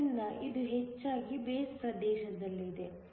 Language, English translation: Kannada, So, this is mostly in the base region